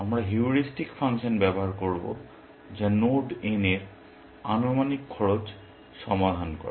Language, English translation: Bengali, We will use the heuristic function, which is estimated cost solving node n